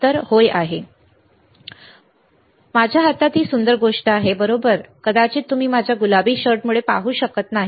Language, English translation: Marathi, Answer is this beautiful thing in my hand here, right, maybe you cannot see because my of my pink shirt